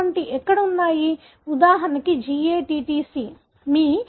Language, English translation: Telugu, Where are such, for example GATTC